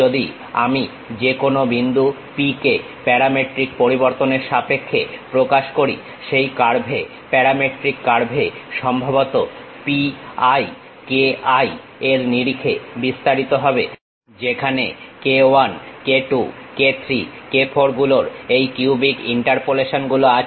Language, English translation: Bengali, If I am representing it in terms of parametric variation the P any point P, on that curve the parametric curve supposed to be expanded in terms of P i k i where k 1 k 2 k 3 k 4s have this cubic interpolations